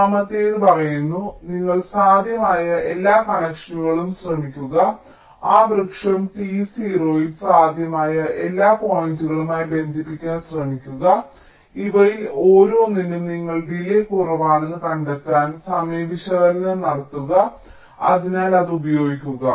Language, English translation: Malayalam, and the third one says: you try all possible connections, try to connect to all possible points in that tree, t zero, and for each of these you do timing analysis to find out that for which the delay is minimum